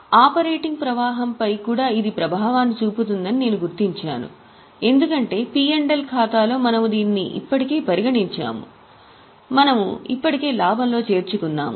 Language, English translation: Telugu, So I have marked it as I, it will have one impact on operating flow as well because we have already considered it in P&L account, we have already added it in profit, so we will have to reduce it from profit